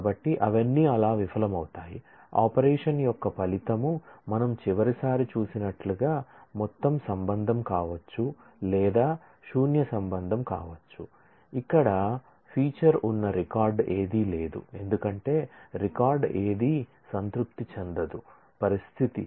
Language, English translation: Telugu, So, all of them will fail so, it is possible that the result of an operation could be either the whole relation as we saw last time or a null relation which has where none of the record with feature because, none of the record satisfy the condition